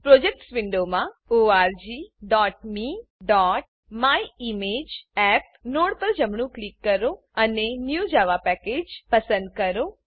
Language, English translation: Gujarati, In the Projects window, right click the org.me.myimageapp node and choose New Java Package